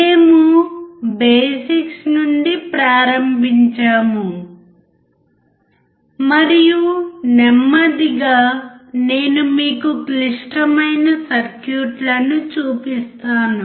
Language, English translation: Telugu, We started from the basics and slowly I will show you the complex circuits